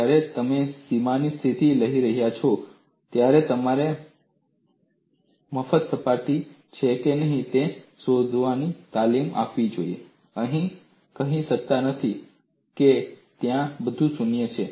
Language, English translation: Gujarati, When you are writing the boundary condition, you would be trained to see if it is a free surface; you cannot say everything is 0 there